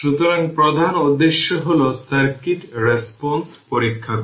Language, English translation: Bengali, So, main objective is to examine the circuit response